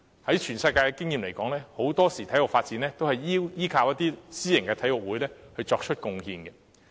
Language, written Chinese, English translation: Cantonese, 以全球的經驗而言，很多時候體育發展皆依靠私營體育會作出貢獻。, International experience shows that sports development is very often dependent on the contribution of private sports clubs